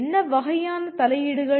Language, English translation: Tamil, What kind of interventions